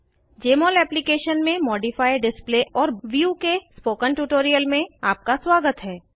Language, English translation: Hindi, Welcome to this tutorial on Modify Display and View in Jmol Application